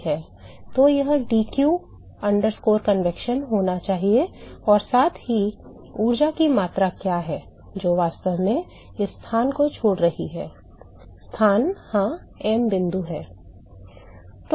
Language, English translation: Hindi, So, that should be dq convection plus what is the amount of energy that is actually leaving this place is location yeah m dot